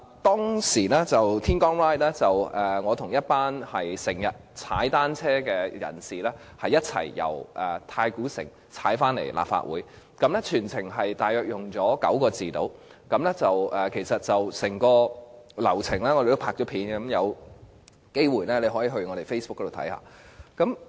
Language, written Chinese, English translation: Cantonese, 當天在"天光 Ride" 的活動中，我與經常騎單車的人士一起由太古城騎單車到立法會，全程大約花了45分鐘，而我們已將整個流程拍攝成影片，大家有機會可以瀏覽我們的 Facebook。, It takes me and cyclists commuting from Tai Koo Shing to the Legislative Council 45 minutes or so to complete the entire Bike The Moment journey . Members may browse our Facebook for a film made by us of the entire journey